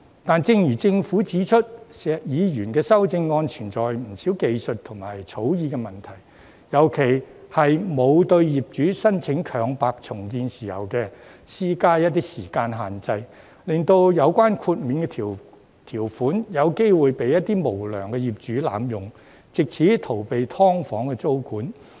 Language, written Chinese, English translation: Cantonese, 可是，正如政府指出，石議員的修正案存在不少技術及草擬問題，尤其是沒有對業主申請強拍重建的時間設限，令到有關豁免條款有機會被一些無良業主濫用，藉此逃避"劏房"租管。, However as the Government has pointed out there are a number of technical and drafting problems with Mr SHEKs amendment . In particular there is no time limit for landlords to make applications for compulsory sale for redevelopment thus some unscrupulous landlords may exploit the exemption to evade the tenancy control of SDUs